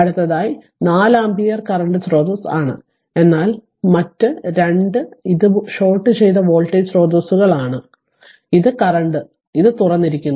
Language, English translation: Malayalam, Next is your this one that next is this one that your 4 ampere is there current source, but the other 2, but other 2 it is shorted voltage source is shorted voltage source was here and this is current right this is open